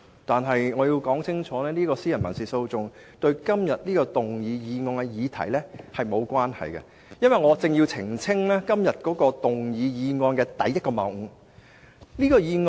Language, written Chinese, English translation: Cantonese, 然而，我必須講清楚，這宗民事訴訟對今天討論的議案並無關係，我更要澄清本議案的數個謬誤。, However I have to make it clear that this civil action has nothing to do with the motion under discussion today . Furthermore I have to clarify a few fallacies concerning this motion